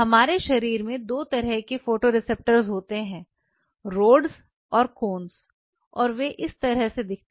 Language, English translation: Hindi, There are 2 kinds of photoreceptors in our body the Rods and the Cones and they look like this